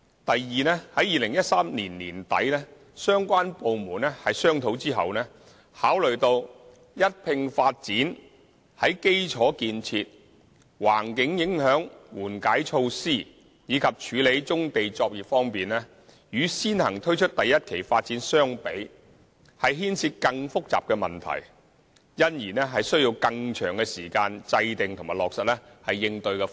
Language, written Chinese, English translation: Cantonese, 第二，在2013年年底相關部門商討後，考慮到一併發展在基礎建設、環境影響緩解措施，以及處理棕地作業方面，與先行推出第1期發展相比，牽涉更複雜的問題，因而需要更長的時間制訂及落實應對方案。, Second in late 2013 the departments concerned had after discussion considered that concurrent development of all phases of the Wang Chau project would involve more complicated issues in respect of infrastructure environmental mitigation measures and brownfield operations than taking forward Phase 1 first as it would take a longer time to formulate and implement corresponding proposals